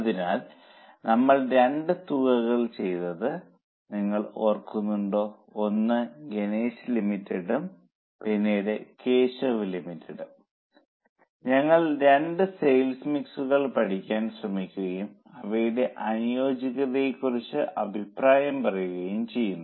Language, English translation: Malayalam, So, if you remember we had done two sums, one on Ganesh Limited and then on Keshav Limited where we try to study two sales mixes and comment on its on their suitability